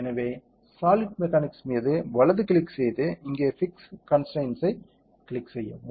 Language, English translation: Tamil, So, right click on solid mechanics and click fixed constraints here